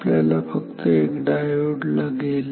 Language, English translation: Marathi, We just need a diode